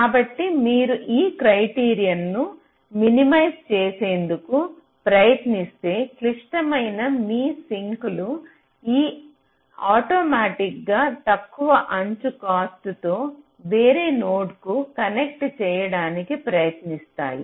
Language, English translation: Telugu, so if you try to minimize this criteria, so automatically your ah the sinks which are critical, they will automatically be try to connect to some other node with a lower edge cost such that this overall sum is minimized